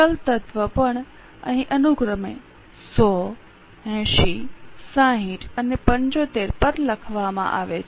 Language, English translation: Gujarati, Variable element is also written over here, 180, 60 and 75 respectively